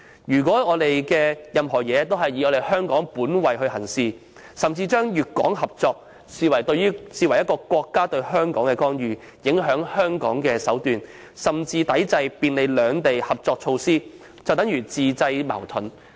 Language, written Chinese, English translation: Cantonese, 如果任何事情均以香港本位行事，甚至把粵港合作視為國家對香港的干預、影響香港的手段，抵制便利兩地合作的措施，那和自製矛盾並無分別。, If we treat everything with a Hong Kong - based approach regard the cooperation between Guangdong and Hong Kong as the countrys intervention into Hong Kong and the means to influence Hong Kong and resist all measures that would facilitate cooperation between the two places it will simply be tantamount to creating contradictions